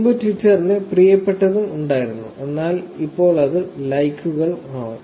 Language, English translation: Malayalam, Twitter used to have this favorite earlier, but now it is likes